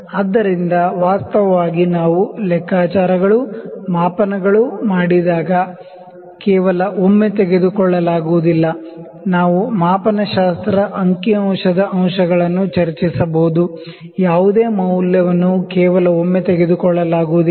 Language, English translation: Kannada, So, actually when we do the calculations when we do the measurements, it is not done only one, as we will discuss statistical aspects of metrology no reading is taken only once